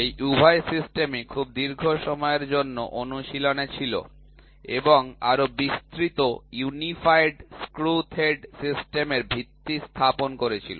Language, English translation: Bengali, Both these systems were in practice for a very long time and laid the foundation for more comprehensive unified screw thread system